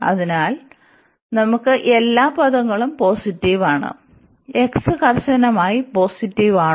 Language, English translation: Malayalam, So, we have all these positive term whether x is strictly positive